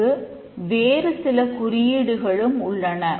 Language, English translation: Tamil, There are other few other notations